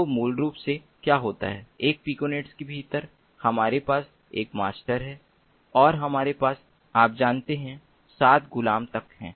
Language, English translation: Hindi, so basically what happens is within a piconet, we have a master and we have, you know, up to seven slaves